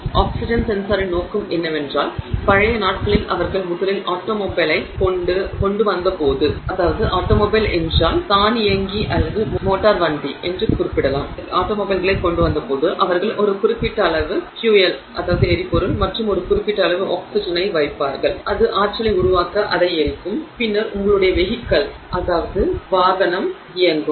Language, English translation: Tamil, The purpose of the oxygen sensor is that in olden days when they first came up with automobiles they would simply put in a certain amount of fuel and certain amount of oxygen and that would burn, it would generate energy and then you would have your vehicle running